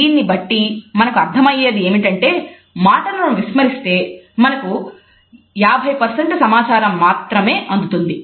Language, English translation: Telugu, So, we can either ignore words, but then we would only have 50% of the communication